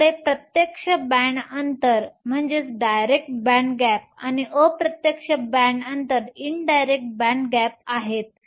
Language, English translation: Marathi, We have a direct band gap and indirect band gap